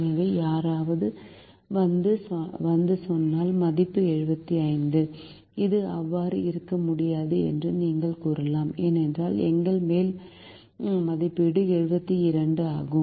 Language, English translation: Tamil, so if somebody comes and says my, the value is seventy five, you can say that it cannot be so because our upper estimate is seventy two